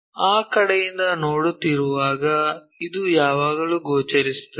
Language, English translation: Kannada, When we are looking from that side, this one always be visible